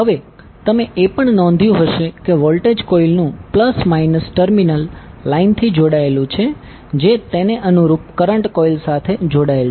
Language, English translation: Gujarati, Now you also notice that the plus minus terminal of the voltage coil is connected to the line to which the corresponding current coil is connected